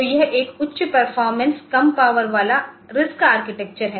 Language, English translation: Hindi, So, it is a high performance low power RISC architecture it is a low voltage